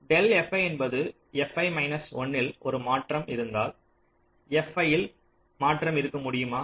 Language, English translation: Tamil, del f i means if there is a change in f i minus one, can there be a change in f i